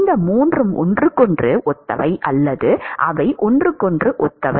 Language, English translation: Tamil, All these 3 are analogous to each other or they are similar to each other